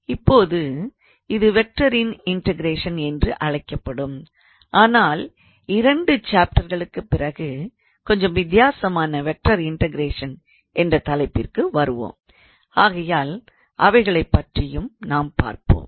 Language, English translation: Tamil, Now this is called as integration of a vector, but in couple of chapters later we will come to the topic of vector integration which is a slightly different